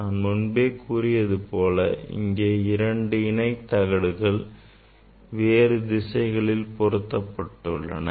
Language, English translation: Tamil, Now I will, as I told that there are two sets of parallel plate along this direction and along other direction